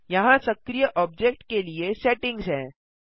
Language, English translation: Hindi, Here are the settings for the active object